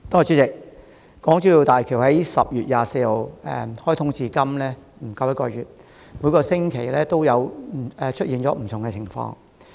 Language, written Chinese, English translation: Cantonese, 主席，大橋自10月24日開通至今不足一個月，每星期皆出現不同情況。, President since the commissioning of HZMB less than one month ago on 24 October we have seen different situations every week